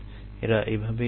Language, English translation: Bengali, let them be there